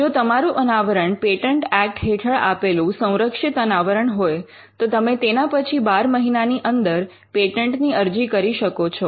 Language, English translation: Gujarati, If your disclosure is a protected disclosure under the Patents Act, then you can file a patent within 12 months